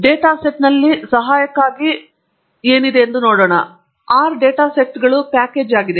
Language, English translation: Kannada, LetÕs ask for help on data sets and it says, R data sets is a package